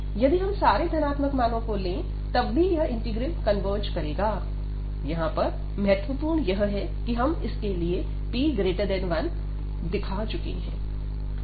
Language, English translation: Hindi, So, if we take indeed all the positive values, in that case also this integral converges for this is important that we have shown here for p greater than 1